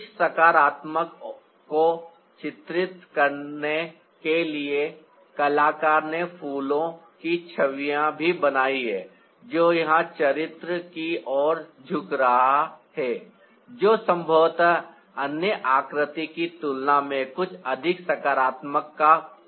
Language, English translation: Hindi, to depict some positivity, the artist has also created images of flowers, which is bending towards the character here, who is perhaps symbolizing something more positive than the other figures